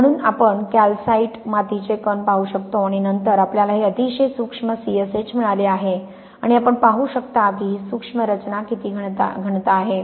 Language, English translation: Marathi, So, we can see here these are the particles of the calcite clay and then we have got this very fine C S H and you can see how dense this microstructure is